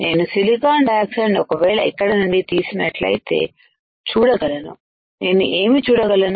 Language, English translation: Telugu, I can see if I remove the silicon dioxide from here, what I can see